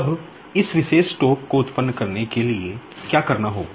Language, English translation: Hindi, Now, let us see how to generate this particular torque